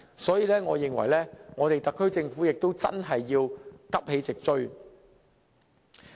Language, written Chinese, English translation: Cantonese, 所以，我認為特區政府要急起直追。, So I think the SAR Government should take immediate action to catch up with their efforts